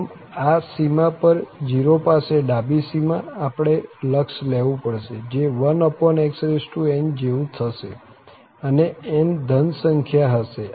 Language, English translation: Gujarati, So, at this boundary, the left boundary at 0, we have to take the limit which is like x over n and n is a positive number